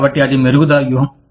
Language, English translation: Telugu, So, that is enhancement strategy